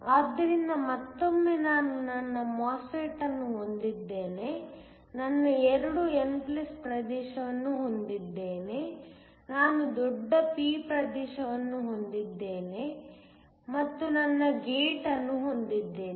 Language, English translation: Kannada, So, once again I have my MOSFET, my 2 n+ regions, I have a bulk p region and I have my gate